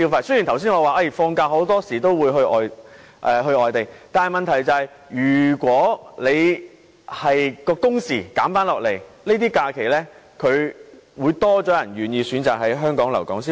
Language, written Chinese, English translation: Cantonese, 雖然我剛才說大家放假時大多會外遊，但問題是如果工時減少，便會有較多人願意選擇在這些假期留港消費。, Although I said just now that most of us will join tours and leave Hong Kong during our days of leave more people will choose to stay in Hong Kong and spend money here during these holidays if our working hours are reduced